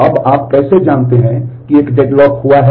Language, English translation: Hindi, Now, how do you know that a deadlock has happened